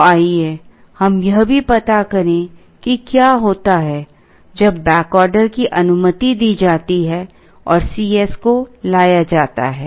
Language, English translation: Hindi, So, let us also try and find out what happens when the back ordering is allowed and C s is introduced